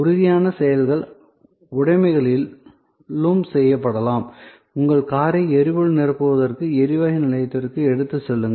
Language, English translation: Tamil, Tangible actions can also be performed on possessions like; you take your car to the gas station for refilling